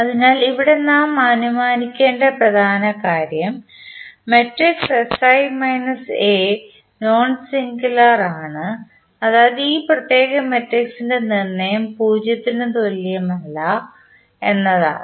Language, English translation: Malayalam, So, the important property which we have to assume here is that the matrix sI minus A is nonsingular means the determent of this particular matrix is not equal to 0